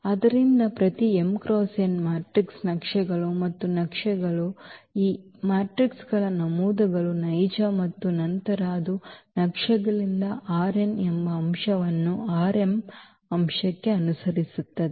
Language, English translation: Kannada, So, every m cross n matrix maps and maps and these entries of these matrices are real of course then it maps an element from R n to an element in R m